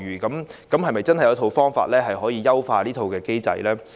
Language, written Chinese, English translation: Cantonese, 政府有否方法可以優化這套機制？, How will the Government enhance this mechanism?